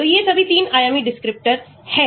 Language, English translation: Hindi, so these are all 3 dimensional descriptors